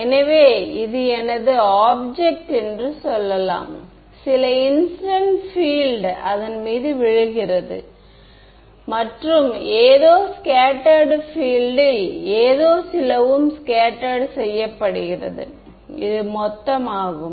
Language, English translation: Tamil, So, let us say this is my object right some incident field is falling on it, and something is getting scattered field this is scattered this is total